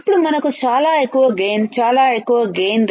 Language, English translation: Telugu, Then we have very high gain, very high gain